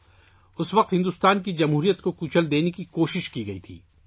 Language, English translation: Urdu, At that time an attempt was made to crush the democracy of India